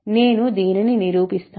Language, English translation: Telugu, Let me prove this